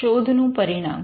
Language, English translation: Gujarati, Outcome of search